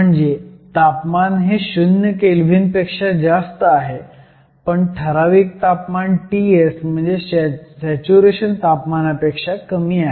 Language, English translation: Marathi, So, a temperature is above 0 Kelvin, but it is below a certain temperature called T s; we are going to define T s as saturation temperature